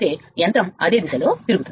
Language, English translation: Telugu, So, machine will rotate in the same direction right